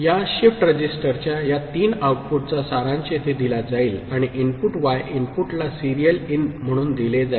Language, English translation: Marathi, These three outputs of this shift register is summed up here and fed as input to the input y as serial in